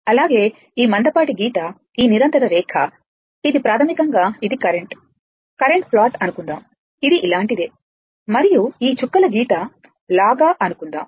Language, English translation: Telugu, Also, because this thick line this continuous line, it is basically, it is that current ah that current plot say, it is something like this and say this dash line